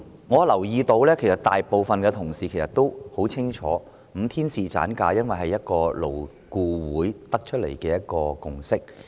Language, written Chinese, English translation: Cantonese, 我留意到大部分同事也很清楚5天侍產假的安排，因為這是勞工顧問委員會得出的共識。, I have noticed that most of the colleagues are also well aware of the five - day paternity leave arrangement because this is the consensus of the Labour Advisory Board LAB